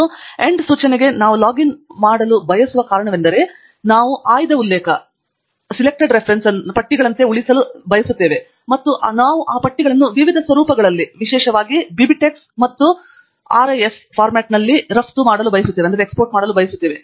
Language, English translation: Kannada, And the reason why we want to login to End Note is because we want to save the selected references as lists and we want to export those lists in different formats particularly BibTeX and RIS formats